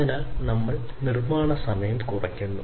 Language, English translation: Malayalam, So, there is reduced manufacturing time